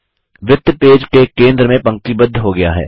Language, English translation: Hindi, The circle is aligned to the centre of the page